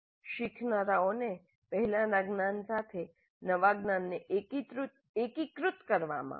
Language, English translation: Gujarati, Help the learners integrate the new knowledge with the previous knowledge